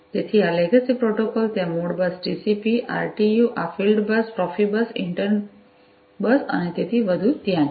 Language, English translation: Gujarati, So, these legacy protocols have been there modbus TCP, RTU, these fieldbus, profibus, inter bus and so on